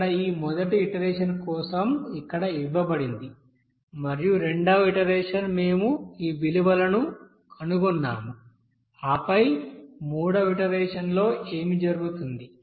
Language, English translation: Telugu, Here for this first iteration it is you know it is given here and then second iteration we have found that this value and then the third iteration here, what will happen